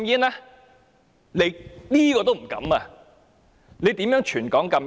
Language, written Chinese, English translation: Cantonese, 你一定不敢，遑論全港禁煙。, I bet that you dare not do so let alone prohibiting smoking all over Hong Kong